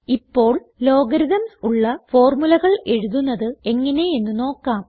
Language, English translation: Malayalam, Now let us see how to write formulae containing logarithms